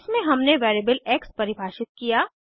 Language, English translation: Hindi, In this we have defined a variable x